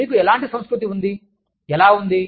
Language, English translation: Telugu, What kind of culture, you have, and how